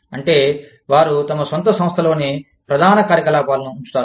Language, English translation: Telugu, Which means, they keep the main operations, within their own organization